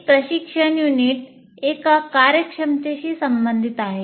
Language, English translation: Marathi, And one instructional unit is associated with one competency